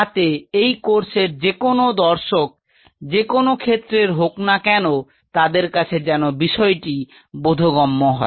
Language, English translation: Bengali, So, that anybody who is the viewer of this course, what is ever field they are, it should be tangible to them